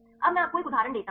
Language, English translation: Hindi, Now I give you the one examples